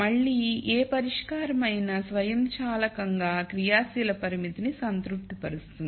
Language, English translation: Telugu, So, whatever solution again will automatically satisfy the active constraint